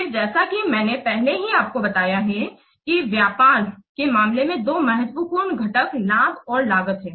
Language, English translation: Hindi, Then as I have already told you the two important components, the two important contents of business case are benefits and costs